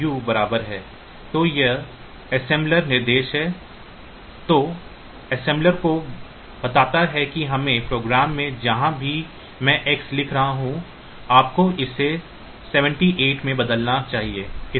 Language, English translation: Hindi, So, this is a assembler directive that tells the assembler that in my program wherever I am writing X you should replace it with 78